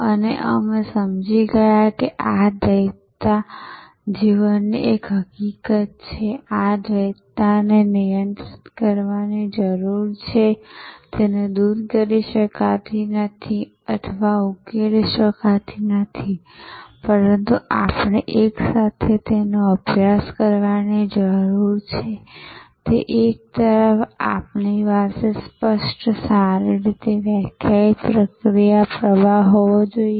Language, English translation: Gujarati, And we understood that this duality is a fact of life and this duality needs to be managed, it cannot be witched away or cannot be resolved, but we need to practice it simultaneously, that on one hand we should have clear, well defined process flow